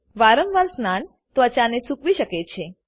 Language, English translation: Gujarati, Frequent bathing may be drying to the skin